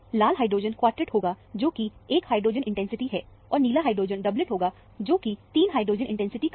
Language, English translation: Hindi, The red hydrogen would be a quartet, which is a 1 hydrogen intensity; and, the blue hydrogen will be a 3 hydrogen intensity of doublet